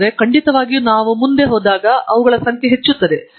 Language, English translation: Kannada, But, definitely, they are increasing in number as we go along